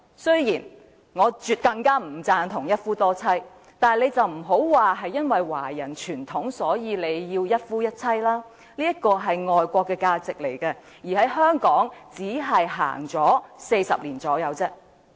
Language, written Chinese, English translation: Cantonese, 雖然我絕不贊同一夫多妻，但他們不要把華人傳統是一夫一妻來作為反對的理由，這是外國的價值觀，在香港也只是實行了40年左右。, While I absolutely disapprove of polygamy they must not put up opposition on the ground that monogamy is the Chinese tradition . This is a foreign value upheld in Hong Kong for only around 40 years